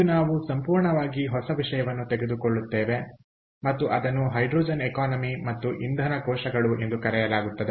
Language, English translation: Kannada, so today we will pick up a completely new topic and that is called hydrogen economy and fuel cells